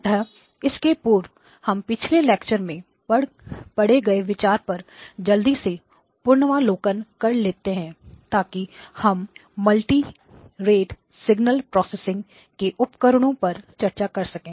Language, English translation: Hindi, So before that a quick review of the concepts that we have covered in the last class, so that we can build on the tools that we have for multirate signal processing